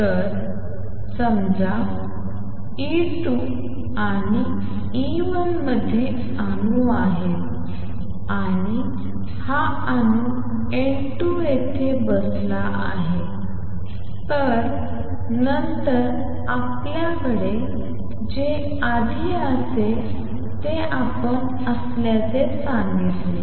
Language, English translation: Marathi, So, suppose there are atoms in E 2 and E 1 and there is this atom N 2 sitting here then what you have going to have earlier we said the dN 2 by dt is minus A 21 N 2